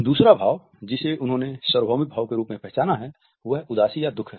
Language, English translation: Hindi, The second emotion which they have identified as being universal is that of sadness of sorrow